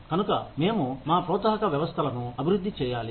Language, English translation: Telugu, So, we have to develop our incentive systems